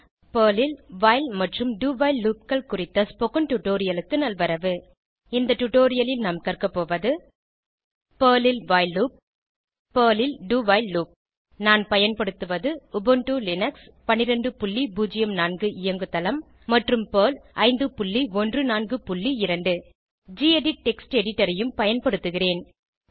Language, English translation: Tamil, Welcome to the spoken tutorial on while and do while loops in Perl In this tutorial, we will learn about while loop in Perl do while loop in Perl I am using Ubuntu Linux12.04 operating system and Perl 5.14.2 I will also be using the gedit Text Editor